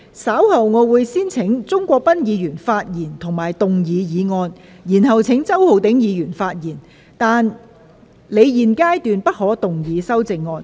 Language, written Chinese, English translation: Cantonese, 稍後我會先請鍾國斌議員發言及動議議案，然後請周浩鼎議員發言，但他在現階段不可動議修正案。, Later I will first call upon Mr CHUNG Kwok - pan to speak and move the motion . Then I will call upon Mr Holden CHOW to speak but he may not move the amendment at this stage